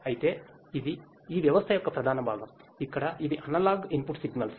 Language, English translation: Telugu, Right However, this is the main part of this system, where these are the analog input signals